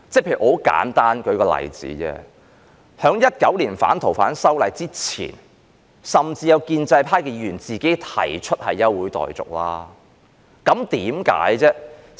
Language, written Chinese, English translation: Cantonese, 很簡單，舉例而言，在2019年反《逃犯條例》之前，甚至有建制派議員亦提出休會待續議案，為甚麼呢？, Before the amendment to the Fugitive Offenders Ordinance in 2019 some Members from the pro - establishment camp had also proposed motions for the adjournment of the Council